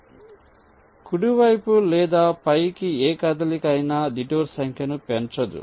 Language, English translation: Telugu, so any movement towards right or towards top will not increase the detour number